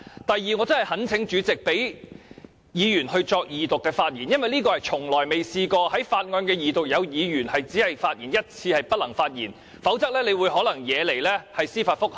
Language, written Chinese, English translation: Cantonese, 第二，我真的懇請主席讓議員就《條例草案》的二讀發言，因為這情況過去從來未曾出現過，也就是在法案二讀時，有議員連一次發言機會也沒有，否則你可能會引起司法覆核。, Second I really call on the President to allow Members to speak on the Second Reading of the Bill because never has it happened before that Members do not have a chance to speak even once during the Second Reading of a Bill . Otherwise a judicial review may be filed against you